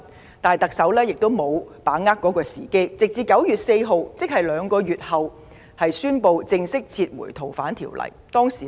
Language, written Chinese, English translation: Cantonese, 然而，特首沒有把握時機，直至9月4日才宣布正式撤回《條例草案》。, However the Chief Executive did not timely heed this piece of advice . Not until 4 September did she announce formally the withdrawal of the Bill